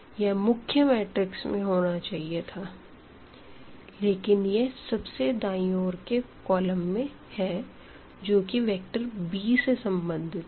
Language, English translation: Hindi, The pivot should be there in this main matrix here not in this rightmost column which corresponds to this right hand side vector b ok